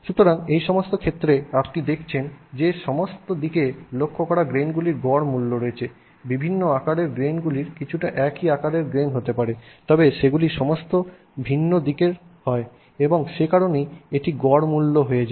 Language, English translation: Bengali, So, in all these cases you are seeing an averaged value of grains pointed in all different directions, different sized grains maybe somewhat similarly sized grains but they are all in different directions and that is why it becomes an averaged value